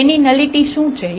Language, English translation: Gujarati, What is the nullity of A